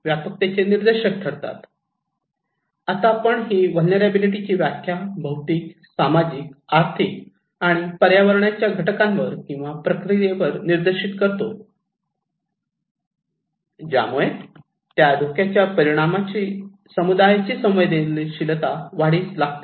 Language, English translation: Marathi, Now, we define vulnerability as the condition, that determined by physical, social, economic and environmental factors or process which increase the susceptibility of a community to the impact of hazard